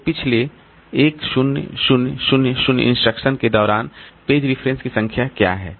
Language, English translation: Hindi, What are the page references over the last 10,000 instructions